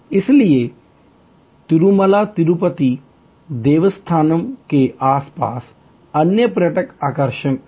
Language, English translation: Hindi, So, there are other tourist attractions created around Tirumala Tirupati Devasthanam